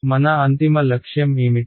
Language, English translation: Telugu, What was our ultimate objective